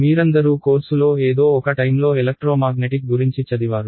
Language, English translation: Telugu, All of you have done Electromagnetics at some point in the course